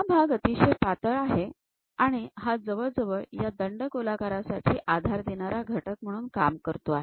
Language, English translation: Marathi, This part is very thin, it is more like a supporting element for this cylinder